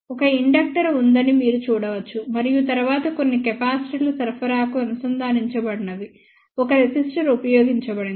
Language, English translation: Telugu, You can see hear that there is an inductor and then, a resistor connected to the supply of few capacitors have been used